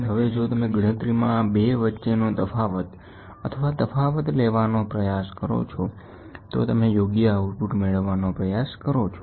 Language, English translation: Gujarati, So now, if you try to take the variation or the difference between these 2 in the counting then you try to get proper output